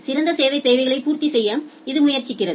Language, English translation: Tamil, It tries its best to meet the service requirements